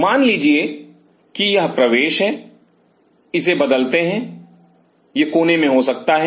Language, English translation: Hindi, Suppose this is the entry the entry can change it could be in the corner